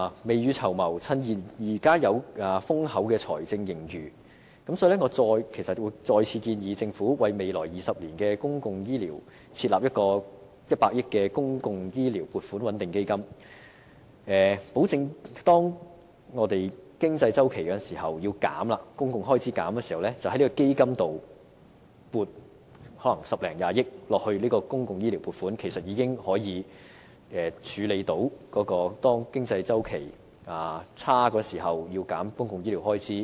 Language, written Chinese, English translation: Cantonese, 未雨綢繆，趁現在有豐厚的財政盈餘，我再次建議政府為未來20年的公共醫療設立100億元的"公共醫療撥款穩定基金"，保證當我們因經濟周期而需要削減公共開支時，可以由這基金撥款十多二十億元作公共醫療撥款，這樣做其實已可以處理經濟周期轉差時要削減公共醫療開支的情況。, To prepare for a rainy day and as there is now a handsome fiscal surplus I once again propose to the Government the setting up of a 10 billion - fund for stabilizing public health care provisions for the public health care sector in the next two decades . The objective is to guarantee that when the economic cycle necessitates a reduction of public expenditure some 1 billion or 2 billion can be allocated out of this fund as public health care expenditure . This can actually address the situation where public health care expenditure has to be reduced in the event of the economic cycle taking a turn for the worse